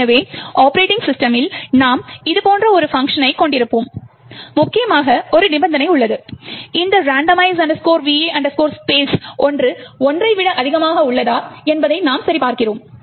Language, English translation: Tamil, So, in the operating system you would have a function like this and importantly for us there is a condition, where we check whether this randomize va space is greater than one